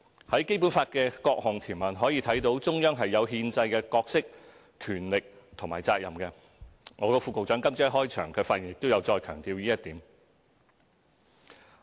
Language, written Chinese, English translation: Cantonese, 從《基本法》的各項條文可以看到，中央是有憲制的角色、權力和責任，我的副局長今早在開場發言時亦有再強調這一點。, The provisions of the Basic Law have stipulated that the Central Government has its constitutional role power and duty in this respect . My Under Secretary stressed this point again in his opening remarks made this morning